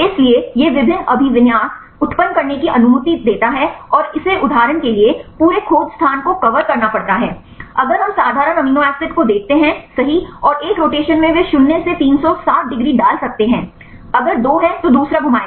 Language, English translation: Hindi, So, it allows to generate various orientations and it has to cover the whole search space for example, if we see simple amino acids right and in one rotation they can put 0 to 360 degrees, if there are two one will rotate second one will also rotate right you can systematically do it right